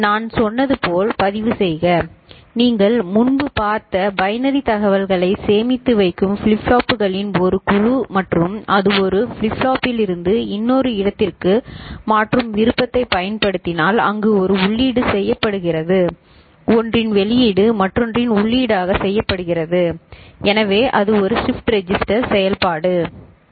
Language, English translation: Tamil, Register as I said is a group of flip flops which store binary information that you have seen before and if it uses shifting option from one flip flop to another where input of one is made output of one is made as input of the other; so that is shift register operation ok